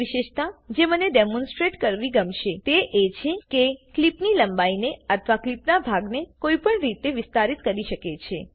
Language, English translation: Gujarati, Another feature that I would like to demonstrate is how one can extend the length of a clip or a portion of a clip